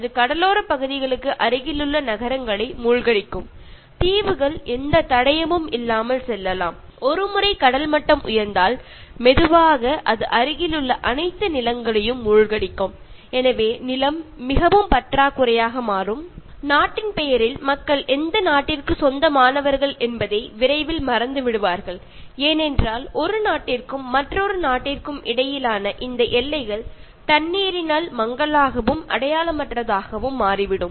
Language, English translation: Tamil, Sea level increase is another consequence and that can submerged cities near coastal areas, islands can go without any trace; and once sea level will rise and slowly it will immerse all the land nearby so the land will become very scarce and people in the name of country they will soon forget that which country they belong to, because these boundaries between one country and another country will be blurred by water literally and figuratively